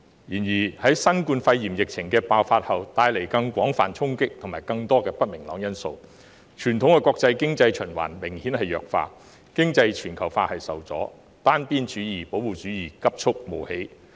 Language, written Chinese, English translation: Cantonese, 然而，新冠肺炎疫情爆發帶來廣泛衝擊及不明朗因素，傳統的國際經濟循環明顯弱化，經濟全球化受阻，單邊主義、保護主義急促冒起。, The great recovery momentum was unparalleled in the world . However the outbreak of the novel coronavirus epidemic has brought about extensive impact and uncertainties . Traditional international economic circulation has been substantially weakened economic globalization is encountering headwinds and unilateralism and protectionism are rising